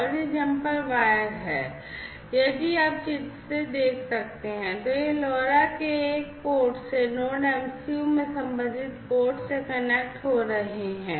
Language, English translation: Hindi, And these jumper wires if you can see from the figure are connecting from one port of this LoRa to the corresponding port in the Node MCU